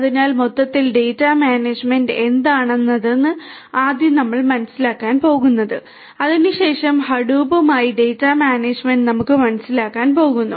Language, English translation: Malayalam, So, what is data management overall is first what we are going to understand and thereafter data management with Hadoop is what we are going to understand